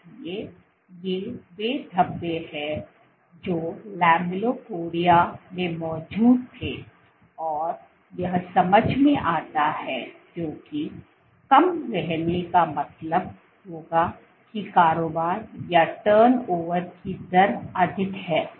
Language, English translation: Hindi, So, these are the speckles which were present in the lamellipodia and this makes sense because short living would mean that the turnover rate is high